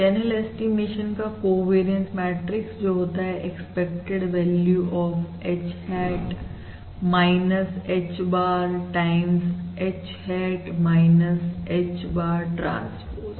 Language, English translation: Hindi, So the covariance, remember the covariance matrix of channel estimation, that is your expected value of h hat minus h bar times h hat minus h bar transpose